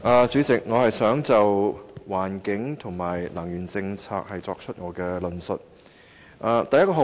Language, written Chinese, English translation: Cantonese, 主席，我想就環境和能源政策作出論述。, President I wish to discuss the environmental and energy policy